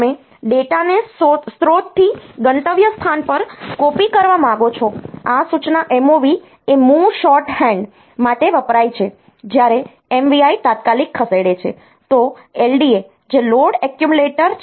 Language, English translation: Gujarati, Like, you can say the this instructing move MOV stands for move shorthand for move, when MVI move immediate, then LDA, which is load accumulator